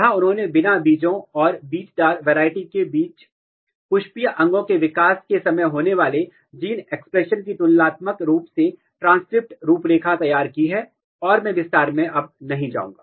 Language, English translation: Hindi, Where they have done a comparative transcript profiling of gene expression between seedless variety and it’s seedy wild type during floral organ and development and I will not go in detail